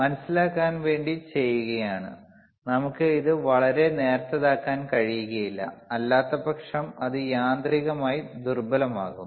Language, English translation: Malayalam, jJust to understand that, we cannot make it too thin, otherwise it will be mechanically weak